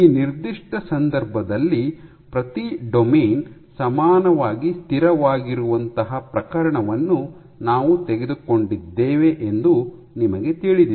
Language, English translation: Kannada, So, in this particular case because you know we took a case where each domain was equally stable